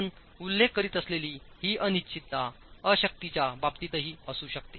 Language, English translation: Marathi, This uncertainty that you're referring to could be in terms of over strength as well